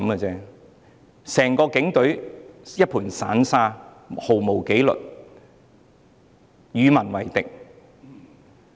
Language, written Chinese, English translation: Cantonese, 整個警隊如同一盤散沙，毫無紀律，與民為敵。, The entire Police Force is like a tray of loose sand having no discipline and being hostile to the people